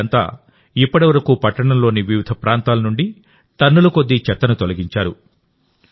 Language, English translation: Telugu, These people have so far cleared tons of garbage from different areas of the city